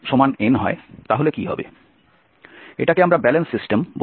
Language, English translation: Bengali, we call this as a balance system